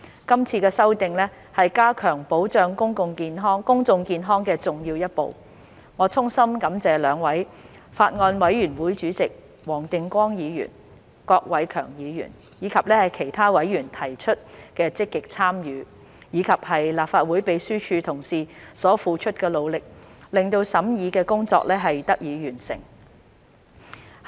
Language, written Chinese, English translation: Cantonese, 今次修訂是加強保障公眾健康的重要一步，我衷心感謝兩位法案委員會主席黃定光議員、郭偉强議員，以及其他委員的積極參與，以及立法會秘書處同事所付出的努力，令審議工作得以完成。, The amendment exercise is an important step towards enhancing the protection of public health . I would like to extend my sincere gratitude to the two Chairmen of the Bills Committee Mr WONG Ting - kwong and Mr KWOK Wai - keung and other members of the Bills Committee for their active participation and colleagues of the Legislative Council Secretariat for their efforts in bringing the scrutiny work to a close